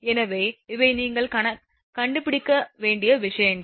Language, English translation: Tamil, So, these are the things given that you have to find out